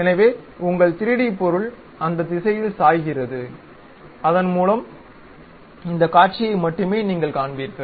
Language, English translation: Tamil, So, your 3D object tilts in that direction, so that you will see only this view